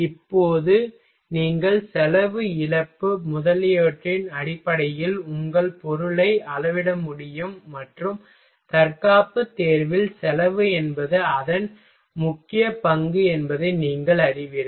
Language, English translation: Tamil, Now and you can also scale your material based on the cost corrosion loss etcetera and you know cost is a very its predominant role in martial selection ok